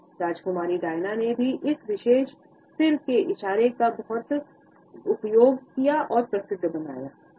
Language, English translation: Hindi, Princess Diana has also made this particular head gesture very famous